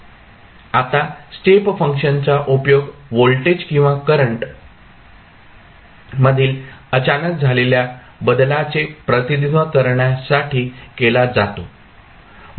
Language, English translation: Marathi, Now, step function is used to represent an abrupt change in voltage or current